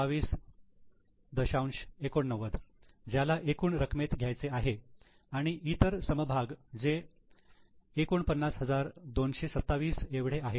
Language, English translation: Marathi, 89 which should be taken in total and other equity which is 49